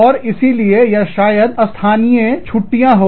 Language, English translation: Hindi, And so, or, maybe, there are local holidays